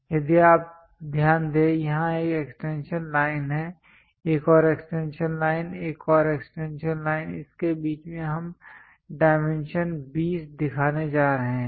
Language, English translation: Hindi, If you are noticing here extension line here there is one more extension line there is one more extension line; in between that we are going to show dimension 20